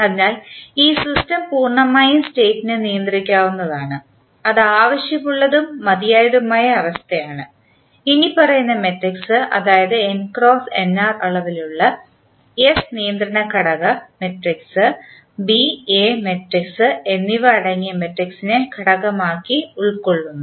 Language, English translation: Malayalam, So, this system to be completely state controllable that is necessary and sufficient condition is that the following the matrix that is S which is having n cross nr dimension, the controllability matrix which we have augmented matrix containing B and A matrix as component